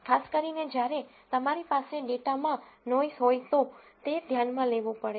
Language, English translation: Gujarati, Particularly when you have noise in the data and that has to be taken into account